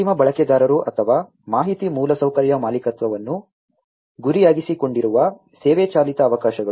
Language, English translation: Kannada, The service driven opportunities targeted at end users or the information infrastructure ownership